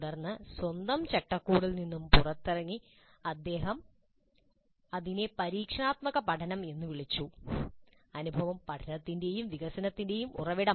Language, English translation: Malayalam, Then came out with his own framework which he called as experiential learning, experience as the source of learning and development